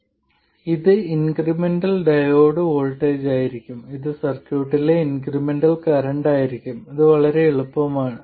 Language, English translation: Malayalam, So this will be the incremental diode voltage and this will be the incremental current in the circuit